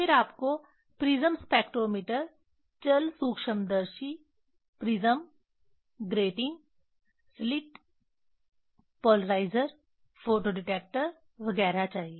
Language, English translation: Hindi, Then you need prism spectrometer, travelling microscope, prism, grating, slit, polarizer, photo detector etcetera